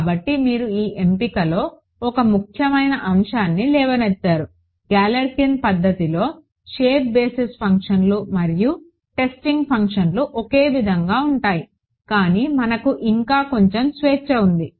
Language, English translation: Telugu, So, but you have raised an important point this choice of we said that in Galerkin’s method the shape basis functions and the testing functions are the same, but we still have a little bit of freedom